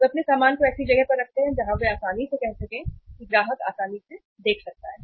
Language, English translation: Hindi, They place their their goods at a place where they are easily uh say is is the customer can easily see can have a look upon it